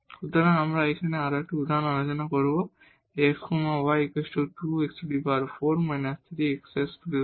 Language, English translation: Bengali, So, we will discuss one more example here f x y is equal to 2 x 4 minus 3 x square y plus y square